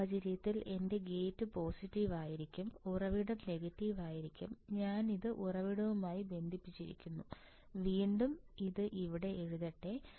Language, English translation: Malayalam, Then in this case my gate would be positive, source would be negative and I am connecting this thing to the source, again let me just write it down here